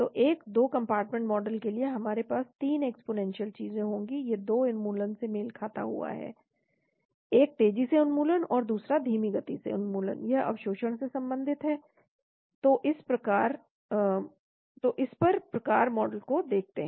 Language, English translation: Hindi, So for a 2 compartment model we will have 3 exponential things coming in, these 2 correspond to the elimination, one fast elimination and other slow elimination, this relates to absorption that is how the model look at